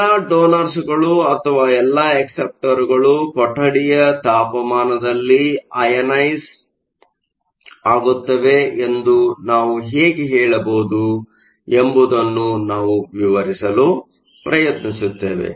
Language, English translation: Kannada, We will try and explain how we can say that all the donors or all the acceptors are ionized at room temperature